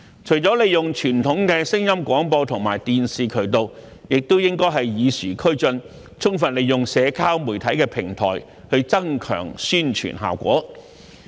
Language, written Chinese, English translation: Cantonese, 除了利用傳統的聲音廣播和電視渠道，當局也應與時俱進，充分利用社交媒體平台，增強宣傳效果。, Apart from making use of the traditional audio broadcasting and television channels the authorities should also keep abreast of the times by fully utilizing the social media platforms to enhance the effectiveness of the publicity efforts